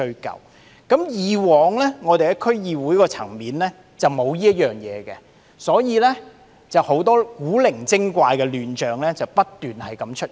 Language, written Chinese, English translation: Cantonese, 由於以往在區議會層面無須宣誓，很多古靈精怪的亂象不斷出現。, Since oath - taking was not required at the DC level in the past weird chaos continuously emerged